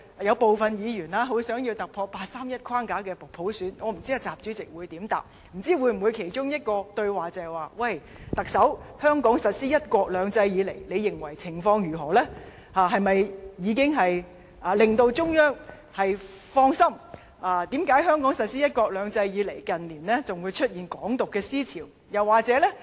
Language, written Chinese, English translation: Cantonese, 兩人其中一個對話，會否是習主席問特首，她認為香港實施"一國兩制"以來的情況如何呢？是否已經令中央放心？為何香港實施"一國兩制"以來，近年仍會出現"港獨"思潮？, During their conversation would President XI have asked the Chief Executive how she thought of the implementation of one country two systems in Hong Kong whether she believed the Central Authorities felt assured about Hong Kong why the ideology of Hong Kong independence appeared in recent years after one country two systems was implemented for so long or why had Hong Kong become a place like this?